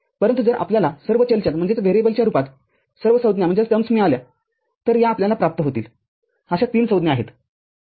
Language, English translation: Marathi, But if you get all the terms in terms of individual variables, these are the three terms that we will get